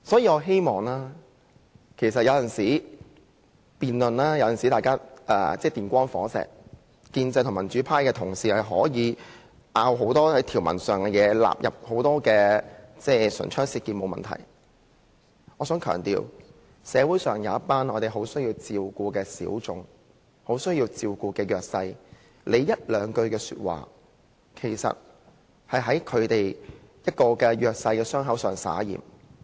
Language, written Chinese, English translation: Cantonese, 我們的辯論有時候確實是電光火石，建制派與民主派的同事可以就條文有很多爭拗，唇槍舌劍，這並不是問題，但我想強調，對於社會上一群很需要照顧的小眾及弱勢人士，議員一兩句話便已在他們的傷口灑鹽。, Colleagues from the pro - establishment camp and the pro - democracy camp may dispute hotly over the provision and engage in a war of words . There is no problem with this . Yet I have to emphasize that to the minorities and the disadvantaged who need to be taken care of in society a line or two from Members will rub salt into their wound